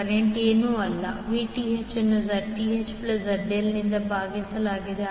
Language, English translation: Kannada, Current is nothing but Vth divided by the Zth plus ZL